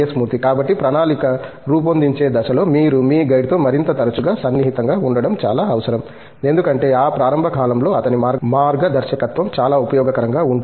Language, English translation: Telugu, So, as a result during the planning stage it is very essential that you are in touch with your guide a more frequently because his guidance becomes very useful in that initial period